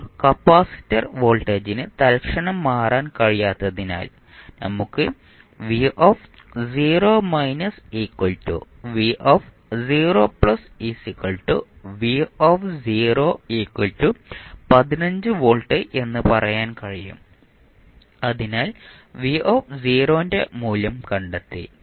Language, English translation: Malayalam, Now, since the capacitor voltage cannot change instantaneously we can say v0 minus is nothing but v0 plus or v0 that is 15 volts